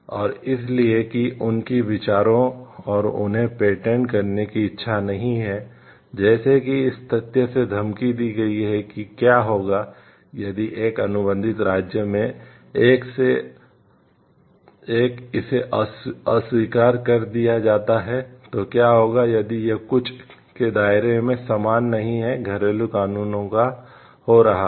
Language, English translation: Hindi, And so, that their ideas and the willingness to patent them is not, like threatened by the fact like what will happen if one in one contracting state it is rejected, what will happen if like it is not like within the maybe purview of the some of the domestic laws happening